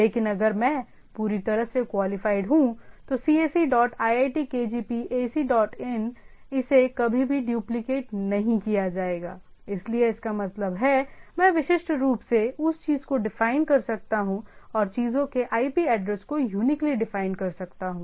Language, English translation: Hindi, But if I have fully qualified, cse dot iitkgp ac dot in, this will never will be duplicated, so that means, I can uniquely define that thing and uniquely define that IP address of the things